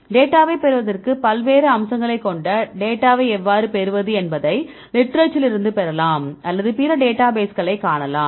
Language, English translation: Tamil, Now, how can you get the data like the various aspects to get the data either you can get from literature or you can see other databases